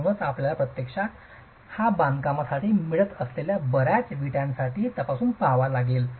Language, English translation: Marathi, So, you actually have to make this check for the lot of bricks that you are getting for the construction